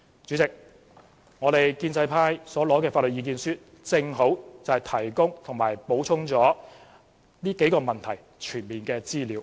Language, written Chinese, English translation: Cantonese, 主席，建制派所獲得的法律意見書正好提供及補充了有關這數個問題的全面資料。, President the legal submission obtained by the pro - establishment camp exactly provides and adds comprehensive information concerning these issues